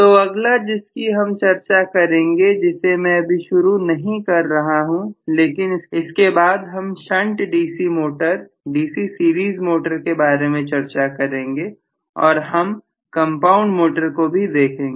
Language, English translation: Hindi, So, the next one we will be discussing I am just not going to immediately start discussing but the next things that we will be discussing will be shunt DC motor, DC series motor and we will also be looking at compound motor